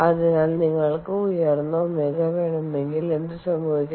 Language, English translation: Malayalam, so if you need high omega, then what happens